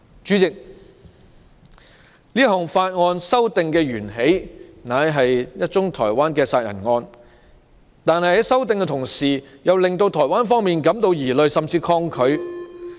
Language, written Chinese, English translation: Cantonese, 主席，這項法例修訂源自一宗台灣殺人案。可是，台灣方面感到疑慮，甚至抗拒。, President though the legislative amendments stemmed from a Taiwan murder case the Taiwan authorities have suspicions and are resisting